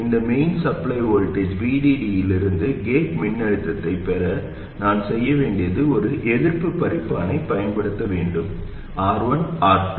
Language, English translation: Tamil, To derive the gate voltage from this main supply voltage VDD, all I have to do is to use a resistive divider, R1, R2, and this is a supply voltage VDD